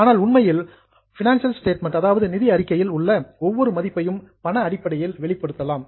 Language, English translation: Tamil, But in fact, every value in the financial statement can be expressed in monetary terms